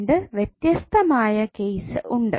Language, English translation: Malayalam, What are the two different cases